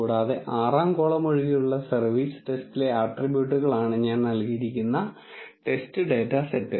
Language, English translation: Malayalam, And the test data set what I have given is the attributes in the service test except the 6th column